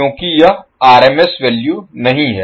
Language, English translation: Hindi, Because, this is not the RMS value